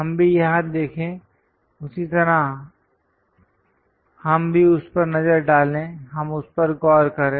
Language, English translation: Hindi, Let us also look at here, similarly let us look at that; let us look at that